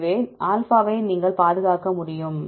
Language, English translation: Tamil, So, you can protect this is alpha